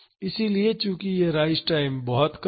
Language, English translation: Hindi, So, since this rise time is too short